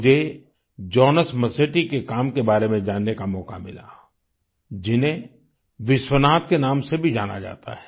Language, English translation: Hindi, I got an opportunity to know about the work of Jonas Masetti, also known as Vishwanath